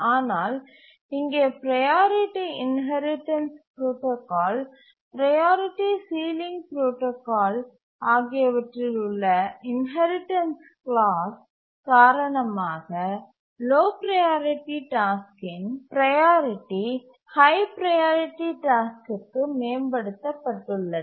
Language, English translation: Tamil, But here, due to the inheritance clause in the priority inheritance protocol, priority sealing protocol, the priority of the low priority task is enhanced to that of the high priority task